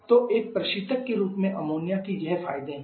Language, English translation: Hindi, So, refrigerant ammonia has these advantages